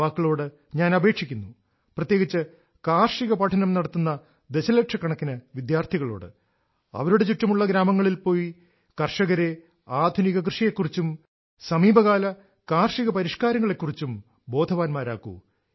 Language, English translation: Malayalam, To the youth, especially the lakhs of students who are studying agriculture, it is my request that they visit villages in their vicinity and talk to the farmers and make them aware about innovations in farming and the recent agricultural reforms